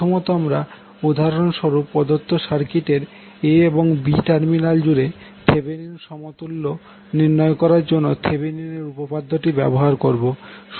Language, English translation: Bengali, First we will use the Thevenin’s theorem to find the Thevenin equivalent across the terminal a b of the circuit given in the example